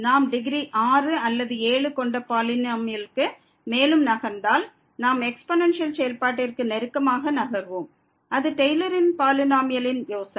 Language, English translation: Tamil, And if we move further for the polynomial of degree 6 or 7, then we will be moving closer to the exponential function and that’s the idea of the Taylor’s polynomial